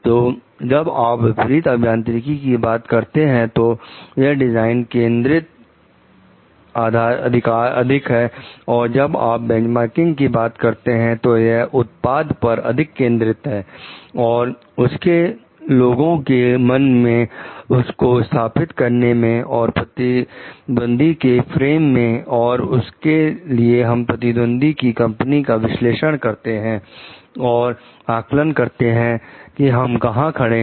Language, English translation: Hindi, So, when you are talking about reverse engineering it is more design focused when you are talking of like benchmarking it is seeing it as more of a product and its placing in the, like the mind of the people and in the frame of the are the competitors, and for that we can do a competitive analysis to find out where our company stands